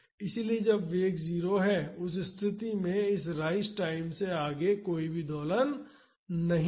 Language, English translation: Hindi, So, when the velocity is 0, in that case this no oscillation beyond the rise time